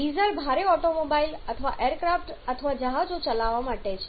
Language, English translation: Gujarati, Diesel is applied for running heavier automobiles or aircrafts or ships